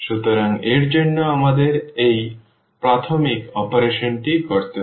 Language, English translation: Bengali, So, for that we need to do this elementary operation